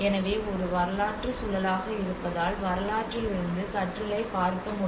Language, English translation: Tamil, So because being a historic context one has to look at the learning from history